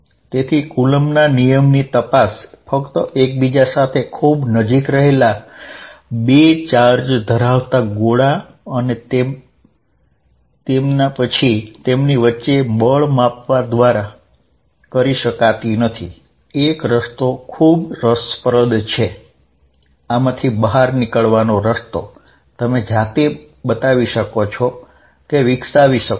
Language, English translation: Gujarati, So, coulomb's law cannot be checked simply by bringing two charged spheres of closed to each other and then measuring force between them a way out is very interested, the way out of this is at what you can show is that